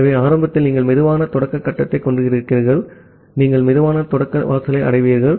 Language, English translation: Tamil, So, initially you have the slow start phase, so you reach the slow start threshold